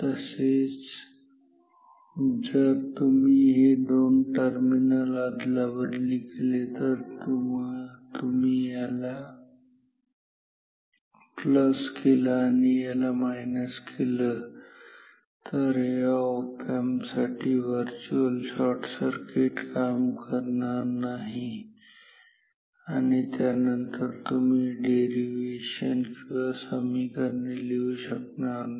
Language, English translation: Marathi, Similarly if you swap these 2 terminals if you make this plus this minus then for this op amp virtual shorting will not work and then you cannot do this derivation you cannot write these equations ok